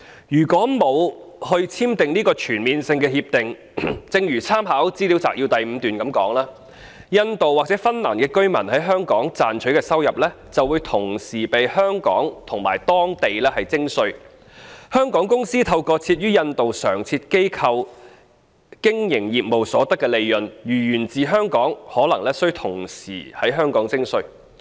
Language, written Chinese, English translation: Cantonese, 如果沒有簽訂這項全面性協定，正如參考資料摘要第5段所述，印度或芬蘭居民在香港賺取的收入會同時被香港及當地徵稅，香港公司透過設於印度的常設機構經營業務所得的利潤，如果源自香港，也可能須同時在香港課稅。, In the absence of the relevant CDTAs as noted in paragraph 5 of the Legislative Council Brief the income earned by Indian or Finnish residents in Hong Kong is subject to tax in both Hong Kong and their home countries . Profits of Hong Kong companies carrying on business through a permanent establishment in India may be taxed in Hong Kong as well if the income is Hong Kong - sourced